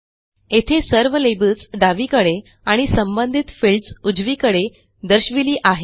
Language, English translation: Marathi, It shows all the labels on the left and corresponding fields on the right